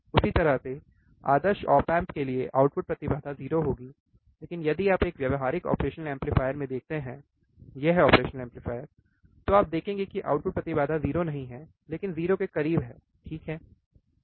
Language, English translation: Hindi, Same way the output impedance for ideal op amp would be 0, but if you see in the practical operation amplifier, this operation amplifier, then you will see that the output op amp is not 0, but close to 0, alright